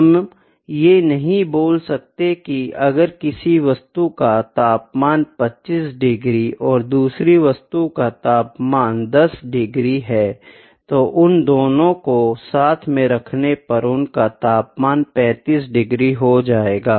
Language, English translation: Hindi, We cannot say that if the temperature of one body is maybe 25 degree another body is 10 degree if we keep them together the temperature will be 25, plus 10 it would be 35 degrees